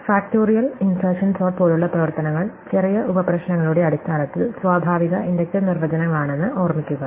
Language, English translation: Malayalam, So, recall that functions like factorial and insertion sort are natural inductive definitions in terms of smaller sub problems